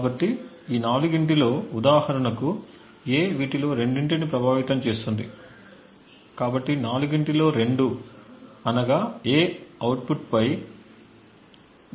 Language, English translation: Telugu, So out of these four, for instance A affects two of these, so two out of four and therefore A has a control of 0